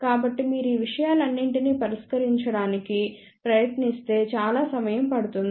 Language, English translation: Telugu, So, if you try to solve all those things it will take very very long time